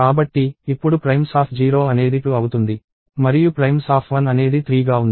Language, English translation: Telugu, So, primes of 0 is now 2 and primes of 1 is 3